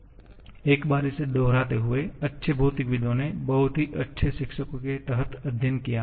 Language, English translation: Hindi, So, just repeating it once, good physicists have studied under very fine teachers